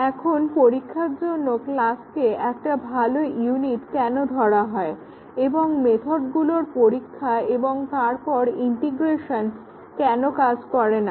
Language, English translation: Bengali, So, why is class a good unit of testing and testing the methods and then integrating will not work